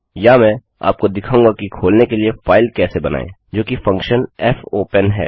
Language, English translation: Hindi, Or what Ill show you is how to create a file for opening, which is the function fopen